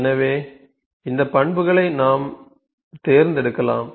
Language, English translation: Tamil, So, these attributes we can select